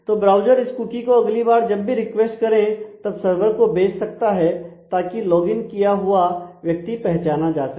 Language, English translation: Hindi, Then the browser can send it back to the server when it is doing the next request so, that I can be identified as a logged in person and